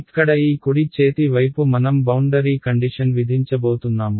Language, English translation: Telugu, This right hand side over here is going to be the way I am going to impose the boundary condition